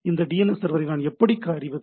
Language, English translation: Tamil, How do I know that DNS server